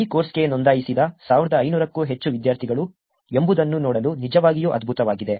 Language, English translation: Kannada, It is actually great to see that whether more than 1500 students who have registered for this course